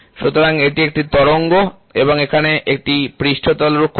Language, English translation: Bengali, So, this is a wave and here is the surface roughness, ok